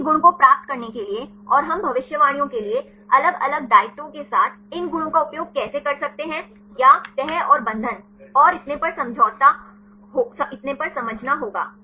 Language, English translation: Hindi, To derive any properties and how can we use these properties with the different obligations for the predictions or have to understand the folding and the binding and so on